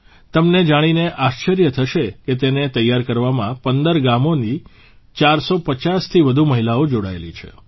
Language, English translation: Gujarati, You will be surprised to know that more than 450 women from 15 villages are involved in weaving them